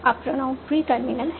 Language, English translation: Hindi, Now, pronoun is a pre terminal